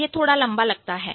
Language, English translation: Hindi, So, it sounds a little long